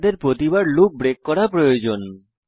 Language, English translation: Bengali, We need to break the loop each time